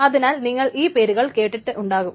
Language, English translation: Malayalam, And so may have heard the names of these things